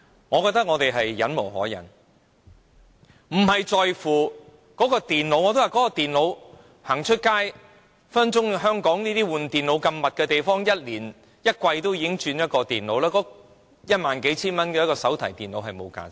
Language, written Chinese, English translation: Cantonese, 我覺得我們忍無可忍了，大家在乎的不是那台電腦，如今電腦更換頻率如此高，香港人更可能每季都會更換電腦，一萬數千元的手提電腦是沒有價值的。, We are really running out of patience . Our concern is not the computer . These days computers are replaced at very high rates and Hong Kong people may replace their computers every quarter of the year so a notebook computer that costs some ten thousand dollars is honestly nothing to them